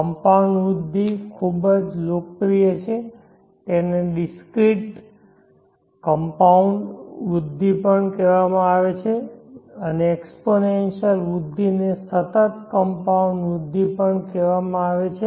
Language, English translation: Gujarati, The compound growth very popular it is also called the discrete compound growth and the exponential growth is called the continuous compound growth